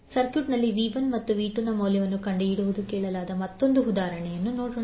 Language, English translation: Kannada, Now let us take another example where we are asked to find out the value of V 1 and V 2 in the circuit